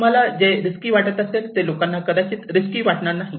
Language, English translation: Marathi, Here is a good example; what do you think as risky, people may not think is risky